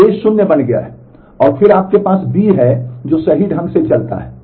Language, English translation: Hindi, So, A has become 0, and then you have the B which goes on correctly